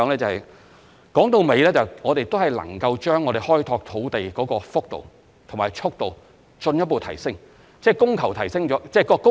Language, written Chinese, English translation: Cantonese, 歸根究底，如果我們能夠將開拓土地的幅度和速度進一步提升，便能增加供應。, In gist if we can further enhance the magnitude and speed of our land development efforts we may increase land supply